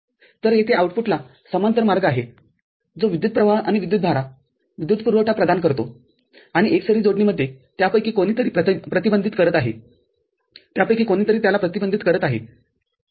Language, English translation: Marathi, So, there is a parallel path here at the output providing the voltage and the current, the power supply and in the series any one of them is blocking it one of them is blocking it ok